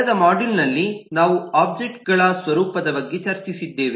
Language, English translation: Kannada, in the last module we have discussed about the nature of objects